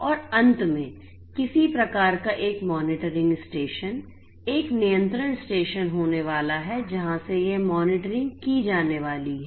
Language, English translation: Hindi, And finally, there is going to be some kind of a monitoring station a control station from where this monitoring is going to be performed